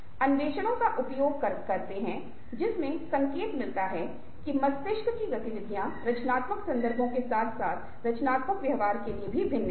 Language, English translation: Hindi, we have initial explorations do indicate that brain activities also are different for creative contexts as well as creative behaviour